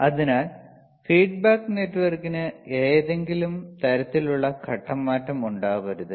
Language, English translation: Malayalam, So, feedback network should not have any kind of phase shift right,